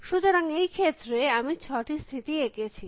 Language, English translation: Bengali, So, in this case I have drawn 6 states